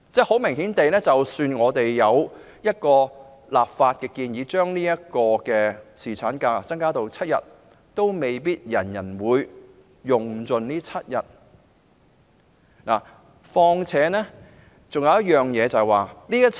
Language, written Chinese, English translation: Cantonese, 很明顯地，即使我們有一個立法規定僱主為僱員提供7天侍產假，亦未必人人會全數盡放有關假期。, Obviously even if we enact legislation requiring employers to grant seven days paternity leave to employees not every employee would take all the leave